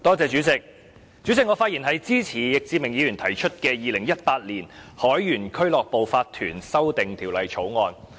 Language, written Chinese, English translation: Cantonese, 主席，我發言支持易志明議員提出的《2018年海員俱樂部法團條例草案》。, President I speak in support of the Sailors Home and Missions to Seamen Incorporation Amendment Bill 2018 the Bill introduced by Mr Frankie YICK